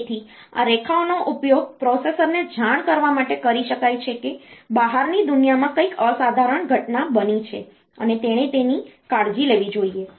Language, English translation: Gujarati, So, these lines can be utilized to telling the processor, that something exceptional has happened in the outside world and it should take care of that